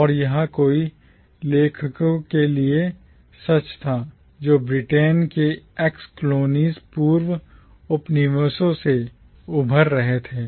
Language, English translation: Hindi, And this was true for many writers who were emerging from the ex colonies of Britain